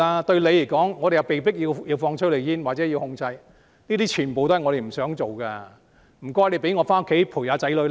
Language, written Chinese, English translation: Cantonese, 對你們而言，我們被迫要施放催淚煙或實施管制，這些全部不是我們想做的，請大家讓我們回家陪伴子女。, To all of you we are forced to fire tear gas or impose regulation . We want to do none of these . Will you please let us go home to have time with our kids